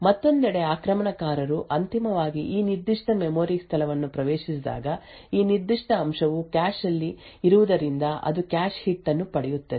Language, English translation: Kannada, On the other hand when the attacker finally accesses this specific memory location it would obtain a cache hit due to the fact that this particular element is present in the cache